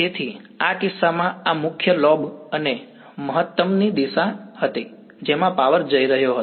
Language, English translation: Gujarati, So, in this case this was the main lobe and the maximum direction in which power was going